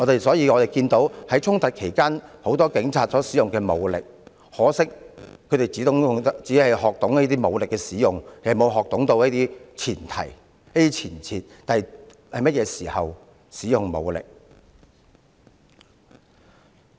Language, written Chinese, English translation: Cantonese, 所以，我們看到很多警察在衝突期間使用武力，但很可惜，他們只學懂如何使用武力，卻沒有學懂使用武力的前提和前設，即應該在甚麼時候才使用武力。, During their training they have learnt how to use firearm and do arm wrestling . Therefore we can see that many police officers have used force during conflicts . Regrettably they have only learnt how to use force without learning the prerequisites and preconditions for using force that is when force should be used